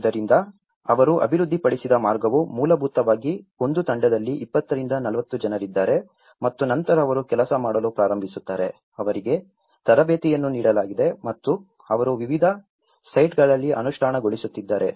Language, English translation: Kannada, So, the way they have developed is basically, there is 20 to 40 people in a team and then they start working on, they have been got training and they have been implementing in different sites